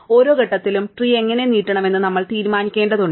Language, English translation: Malayalam, At each point, we have to decide how to extend the tree